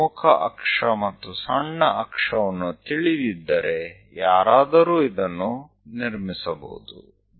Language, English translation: Kannada, If we know major axis, minor axis, one will be in a position to construct this